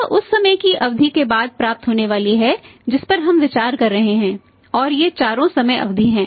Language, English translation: Hindi, This is going to receive after the period of time which we are considering and these are 4 time periods